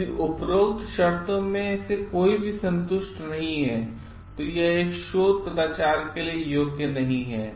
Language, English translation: Hindi, If any of the above conditions is not satisfied, it does not qualify for a research misconduct